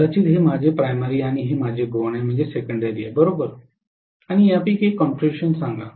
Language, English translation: Marathi, Maybe this is my primary and this has been my secondary, right and let us say one of these configurations